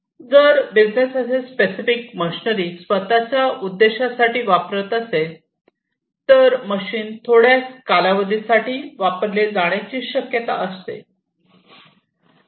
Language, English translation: Marathi, If the business was using just for their own purpose, then it is quite likely that the machine will be used for certain duration of time